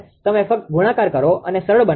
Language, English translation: Gujarati, You just multiply and simplify